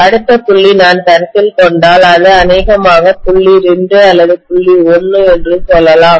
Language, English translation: Tamil, The next point if I consider, this is probably point 2 or point 1 let us say